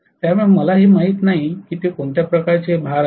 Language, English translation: Marathi, So I do not know what sort of load it is